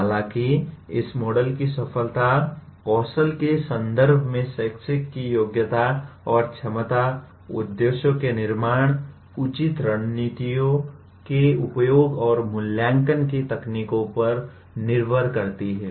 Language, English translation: Hindi, However, the success of this model depends on the competency and ability of the teacher in terms of skills like the formulation of objectives, use of proper strategies and techniques of evaluation